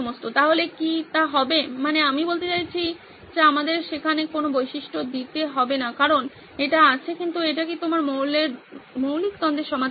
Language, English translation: Bengali, So would that be, would that, I mean we do not have to throw a feature in there because it is there but is it addressing your basic conflict